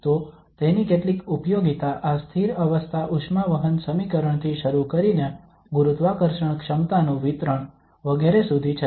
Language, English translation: Gujarati, So it has several applications starting from this steady state heat conduction equation to the distribution of the gravitational potentials etcetera